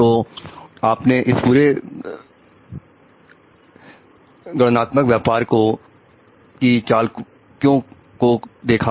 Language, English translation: Hindi, So, you see how tricky the whole computation business in it